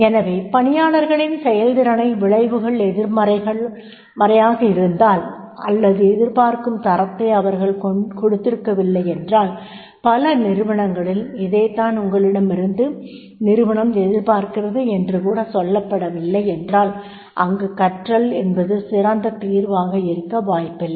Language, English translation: Tamil, So, therefore, if the consequences of the good performance are negative or if they are unaware of an expected standard in many organizations it is not been even told, that is what is expected from you, then training is not likely to be the best solution in that case